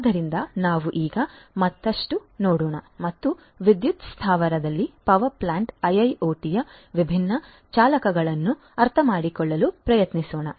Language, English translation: Kannada, So, let us now look at further and try to understand the different drivers of IIoT in the power plant